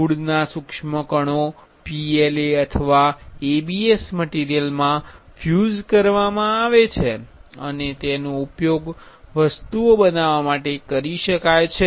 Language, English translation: Gujarati, Fine particles of wood is infused in PLA or ABS material and can be used for making objects